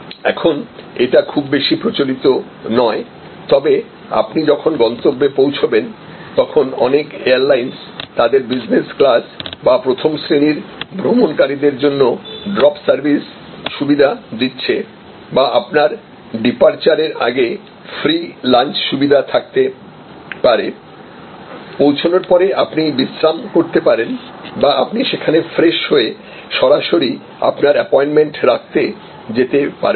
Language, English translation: Bengali, These days that is not very much prevalent, but drop of service when you arrive are provided by many airlines for their business class or first class travelers or there could be free launch facility before your departure, you can relax or on your arrival you can fresh enough and take a shower and so on, and go straight to your appointment